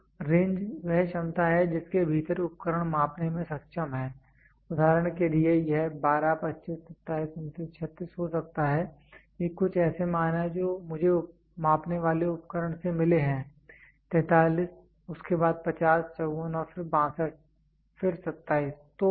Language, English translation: Hindi, So, range is the capacity within which the instrument is capable of measuring for example, it can be 12, 25, 27, 29, 36 these are some of the values what I get out of measuring device 43 then 50, 54 then 62 then 27